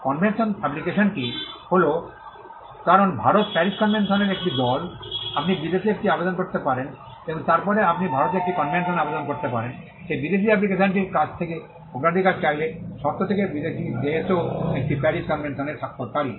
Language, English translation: Bengali, The convention application is, because India is a party to the Paris convention, you can file an application in a foreign country and then you can file a convention application in India, seeking the priority from that foreign application, provided the foreign country is also a signatory to the Paris convention